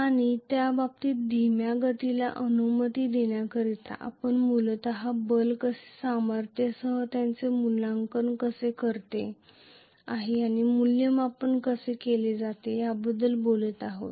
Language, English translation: Marathi, And that to allowing a slow motion in that case we are basically talking about how the force is evaluating the force involved how it is evaluated